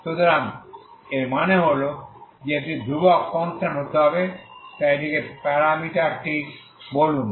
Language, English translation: Bengali, So that means it has to be constant so call this the parameter lambda